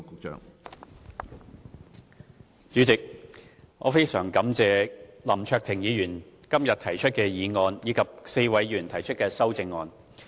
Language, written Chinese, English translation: Cantonese, 主席，我非常感謝林卓廷議員今天提出議案，以及4位議員提出修正案。, President first of all I thank Mr LAU Kwok - fan Mr Alvin YEUNG Dr Fernando CHEUNG and Mr KWOK Wai - keung for proposing amendments to my original motion